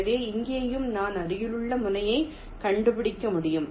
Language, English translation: Tamil, so here also, i can find out the nearest vertex